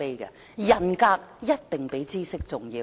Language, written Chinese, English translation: Cantonese, 人格一定比知識重要。, Integrity is definitely more important than knowledge